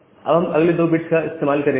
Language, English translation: Hindi, Now, we use the next two bits